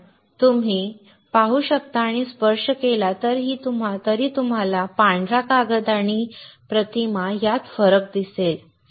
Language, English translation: Marathi, Because you can see and even if you touch, you will see the difference between the white paper and the pattern